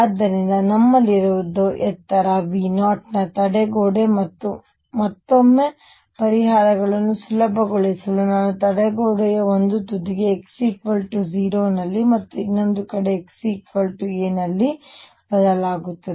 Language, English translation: Kannada, So, what we have is this barrier of height V 0 and again to facilitate solutions I will shift back to one end of the barrier being at x equals 0, and the other hand being at x equals a